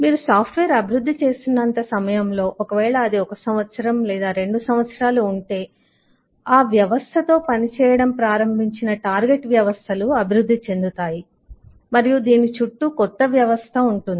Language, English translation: Telugu, over the period of your development if it is 1 year, 2 years the target systems that started working with that system itself evolves and the new system is around this